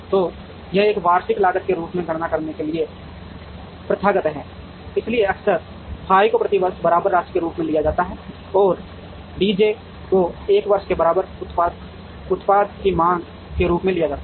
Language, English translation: Hindi, So, it is customary to compute it as an annual cost, so f i is often taken as the equivalent amount per year and D j is taken as the demand of an equivalent product for 1 year